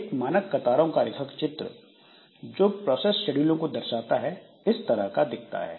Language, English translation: Hindi, So, a typical queuing diagram that represents the process scheduling is like this